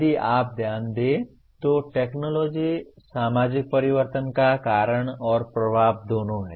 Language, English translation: Hindi, If you note, technology is both cause and effect of societal changes